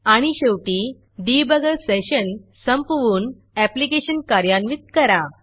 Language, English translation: Marathi, And finally, Finish the debugger session and Run your application